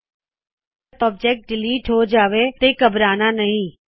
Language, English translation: Punjabi, In case a wrong object is deleted, no need to panic